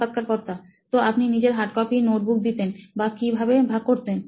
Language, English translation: Bengali, So you used to give your hard copy, notebooks itself or how did you share it